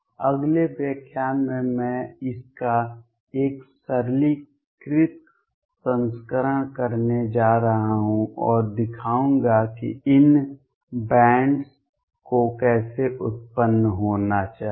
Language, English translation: Hindi, In the next lecture I am going to do a simplified version of this and show how these bands should necessarily arise